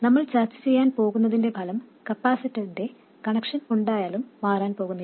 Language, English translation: Malayalam, The result of what we are going to discuss doesn't change regardless of the connection of the capacitor